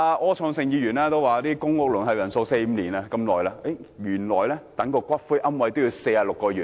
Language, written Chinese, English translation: Cantonese, 柯創盛議員提到公屋輪候時間為四五年，原來等候骨灰龕位也要46個月。, Mr Wilson OR made the point earlier that the waiting time for public housing is four to five years . In fact there is also a waiting time of 46 months for a niche